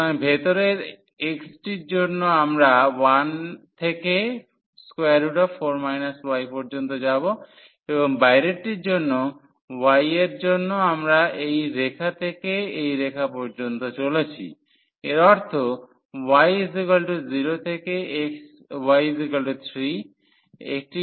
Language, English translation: Bengali, So, for the inner one x we are moving from 1 to the square root 4 minus y and for the outer one for the y, we are moving from this line to that line; that means, y is equal to 0 to y is equal to 3